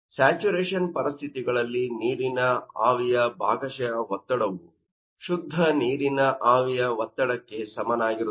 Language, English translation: Kannada, And saturation conditions the partial pressure of what our vapour will be equal to vapour pressure up your water